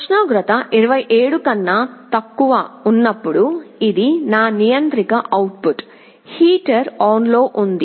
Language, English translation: Telugu, When the temperature is less than 27, this is my controller output; the heater is on